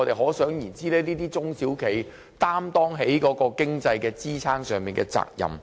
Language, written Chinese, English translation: Cantonese, 可想而知，這些中小企肩負支撐國內經濟的責任。, It can thus be seen that these SMEs have shouldered the responsibility of supporting national economy